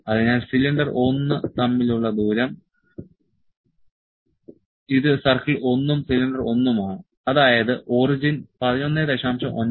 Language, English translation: Malayalam, So, distance between cylinder 1 it is the circle 1 and cylinder 1 that is the origin is 11